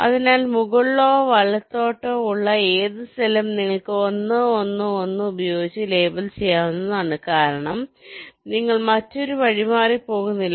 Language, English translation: Malayalam, so any cell to the top or right, you can go on labeling with one one one, because you are not making any other detour